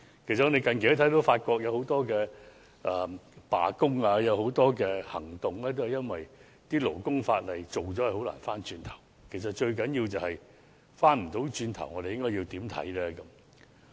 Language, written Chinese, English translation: Cantonese, 我們近期看到法國有很多罷工行動，都是因為勞工法例制定後很難回頭，而最重要的是，如果不能回頭的話，我們應該如何看待這事呢？, Recently we have seen many incidents of strike taking place in France because there is no turning back when labour laws are enacted and most importantly when there is no turning back how should we look at this issue?